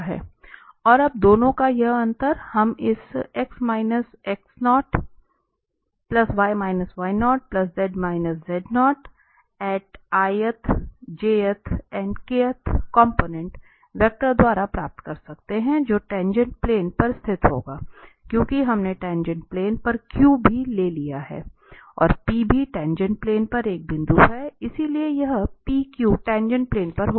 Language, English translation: Hindi, And now this difference of the 2 we can get by this vector x minus X0, y minus Y0 and z minus z0 which will lie on the tangent plane because we have taken the Q also on the tangent plane and P is also a point on the tangent plane, so this PQ will be on the tangent plane